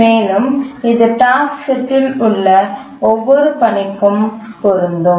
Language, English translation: Tamil, And that holds for every task in the task set